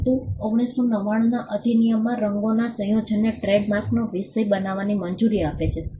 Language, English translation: Gujarati, But the 1999 act allows for colour combination of colours to be a subject matter of trademark